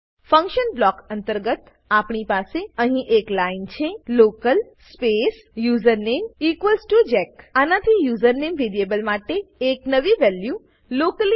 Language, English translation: Gujarati, Inside the function block, we have a line,local space username equals to jack This assigns a new value for the variable username locally